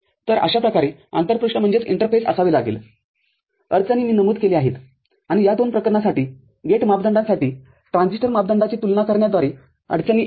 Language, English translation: Marathi, So, this is how the interface has to take place issues I have mentioned and it the issues are coming from comparing the transistor parameters for the gate parameters for these two cases